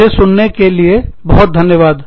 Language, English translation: Hindi, Thank you, very much, for listening to me